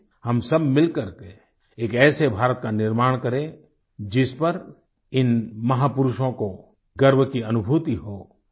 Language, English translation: Hindi, Come, let us all strive together to build such an India, on which these great personalities would pride themselves